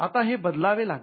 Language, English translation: Marathi, Now this had to be changed